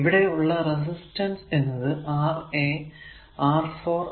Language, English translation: Malayalam, So, how do we will combine resistor R 1 through R 6